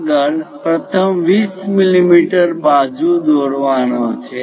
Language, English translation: Gujarati, Further the first point is draw a 20 mm side